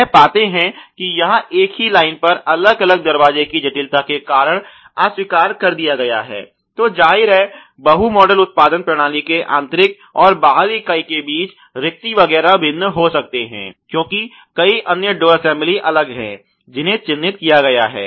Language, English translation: Hindi, They find that it is a rejected due to the complexity of the different door on the same line so obviously, the gaps etcetera, between the inner and the outer member of a muck multi model production system may be different because there are many other different you know assembly door assemblies which are been marked